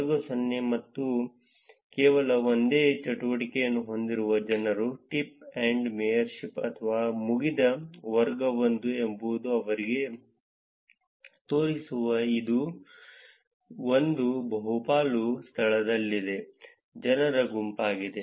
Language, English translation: Kannada, Class 0 or the people who have only single activity either a tip, or a mayorship or a done, class 1 is set of people who were where this one majority location that shows up for them